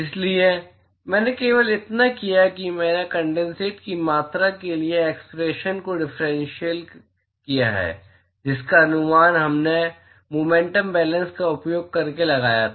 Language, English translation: Hindi, So, all I have done is I have differentiated the expression for the amount of condensate that we estimated using momentum balance